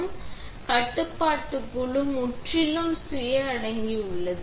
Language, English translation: Tamil, First, this is the compact control panel, completely self contained